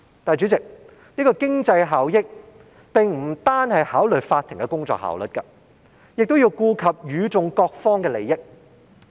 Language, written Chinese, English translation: Cantonese, 主席，經濟效益不單是考慮法庭的工作效率，亦要顧及與訟各方的利益。, As far as economic benefits are concerned President not only the work efficiency of law courts but also the interests of all parties involved should be taken into account